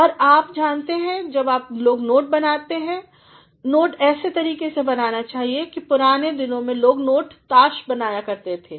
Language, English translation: Hindi, And, you know while people are making notes, the notes should be made in such a way in earlier days people used to make note cards